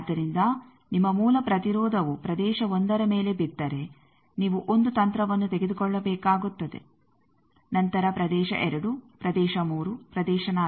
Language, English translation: Kannada, So, if you were your original impedance if it falls on region 1 then you will have to take 1 strategy then region 2 regions 3, region 4